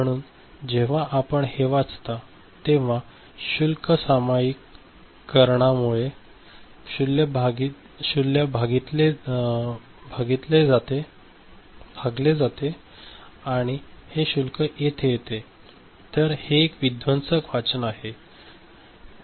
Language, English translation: Marathi, So, whenever you read it, because of the charge sharing, charge dividing that is happening this charge coming over here; so, it becomes a destructive reading